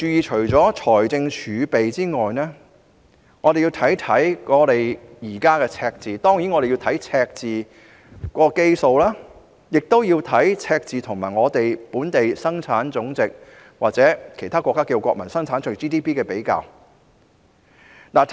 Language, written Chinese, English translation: Cantonese, 除了財政儲備外，我們還要注意現時的財政赤字，包括赤字的基數及赤字與本地生產總值或其他國家稱為國民生產總值的比較。, Apart from fiscal reserves we should also pay attention to the current fiscal deficit including the base of the deficit and the comparison between deficit and GDP or what is known as Gross National Product in other countries